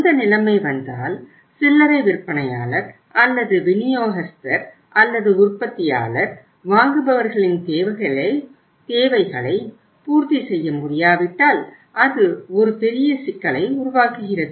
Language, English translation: Tamil, And if that situation comes up and if the any uh say say uh way maybe the retailer or the distributor or the manufacturer is not able to serve the needs of the buyers then it creates a big problem and it has a big cost